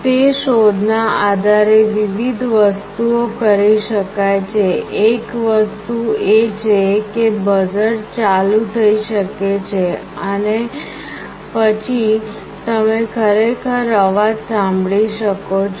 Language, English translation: Gujarati, Based on that detection various things can be done; one thing is that a buzzer could be on, and then you can actually hear the sound and can make out